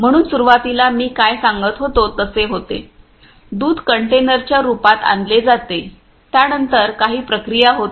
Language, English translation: Marathi, So, initially you know what happens as I was telling you, the milk is brought in the form of containers then there is some processing that takes place